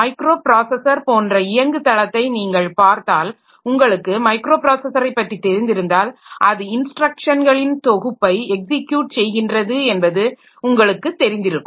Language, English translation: Tamil, And if you look into the platform like given a microprocessor if you have done if you have knowledge about microprocessors you know that it can take a set of instructions and execute them